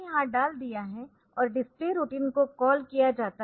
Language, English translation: Hindi, So, that is put here, and calls the display routine